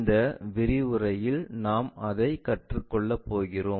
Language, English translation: Tamil, That is a thing what we are going to learn it in this lecture